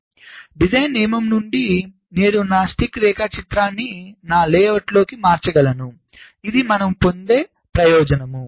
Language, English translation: Telugu, so from the design rule i can directly convert my stick diagram into my layout